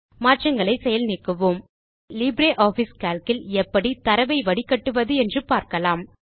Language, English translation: Tamil, Lets Undo the changes Now lets learn how to filter data in LibreOffice Calc